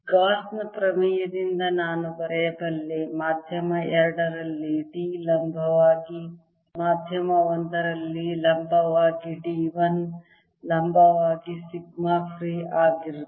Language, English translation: Kannada, i can write by gausas theorem that d perpendicular in median two minus d perpendicular in medium one is equal to sigma free